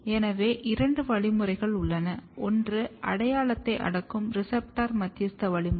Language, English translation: Tamil, So, basically there is there are two mechanism, which is receptor mediated mechanism which repress the identity